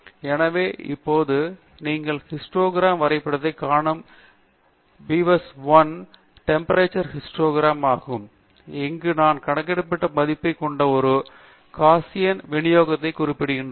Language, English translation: Tamil, So, now on the plot you see the histogram of data, it is beaver1 temperature histogram indicating some kind of a Gaussian distribution with the mean being the value that we have calculated here